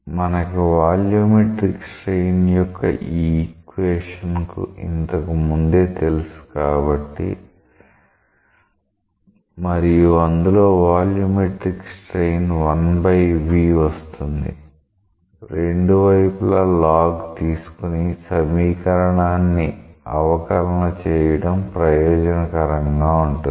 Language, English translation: Telugu, So, the since we know already the expression for the volumetric strain and in that volumetric strain 1 by v appears; it may be useful to utilize that expression by taking log of both sides and then differentiating